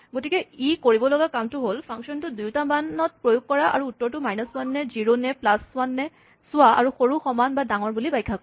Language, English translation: Assamese, So, all it needs to do is, apply this function to 2 values, and check if their answer is minus 1, zero, or plus 1 and interpret it as less than, equal to or greater than